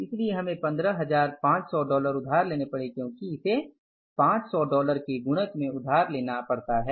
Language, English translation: Hindi, So we had to borrow $15,500 because it has to be borrowed in the multiple of $500